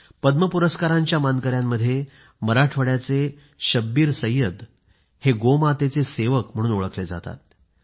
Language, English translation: Marathi, Among the recipients of the Padma award, ShabbirSayyed of Marathwada is known as the servant of GauMata